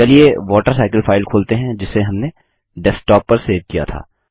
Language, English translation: Hindi, Let us open the WaterCycle file which we had saved on the Desktop